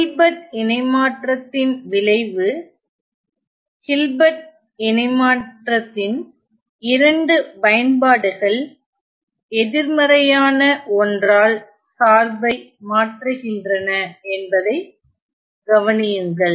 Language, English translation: Tamil, Notice that the Hilbert the effect of Hilbert transform is that two applications of Hilbert transform is shifting the function by negative one